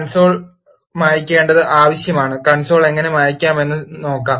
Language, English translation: Malayalam, And it is needed to clear the console let us now look at how to clear the console